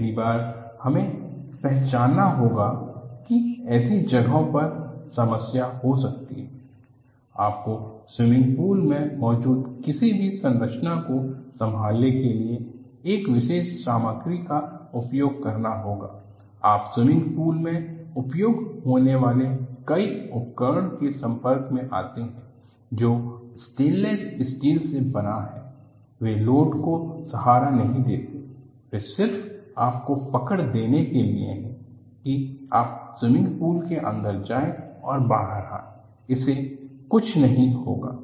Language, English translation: Hindi, See, first thing is even recognizing, there could be problem in such places, you have to use special material to handle anyone of the structures that you have in a swimming pool, you have come across several swimming pool side way equipment, made of stainless steel; they do not support load, they are just to give you grip and then, get into the swimming pool and coming out, nothing will happen to that